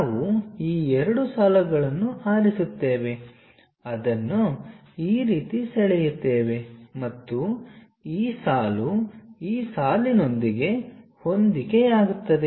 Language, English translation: Kannada, We pick this these two lines, draw it in this way and this line coincides with this line